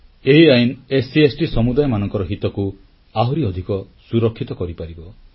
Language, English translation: Odia, This Act will give more security to the interests of SC and ST communities